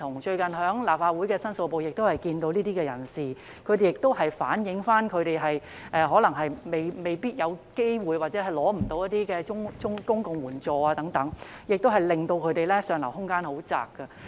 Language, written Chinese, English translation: Cantonese, 最近立法會申訴部亦曾接見這些人士，他們反映自己未必有機會，或是無法申請一些公共援助等，令他們上流空間很狹窄。, Recently the Complaints Division of the Legislative Council Secretariat has met with these people . They spoke about having little room for upward mobility due to their lack of opportunities or their ineligibility for some public assistance